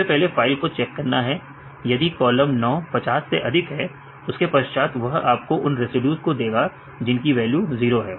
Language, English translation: Hindi, First we need to right check the file right if the column 9 right which is more than 50 right, and then this will give you the residues which are having the value of 0